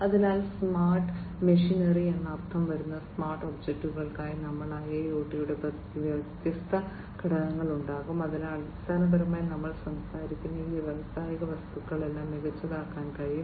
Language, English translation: Malayalam, So, we will have the different components of IIoT as the smart objects that means, the smart machinery smart, you know, so basically all these industrial objects that we are talking about can be made smarter, so smart objects